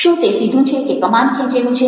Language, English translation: Gujarati, is it straight or is it arched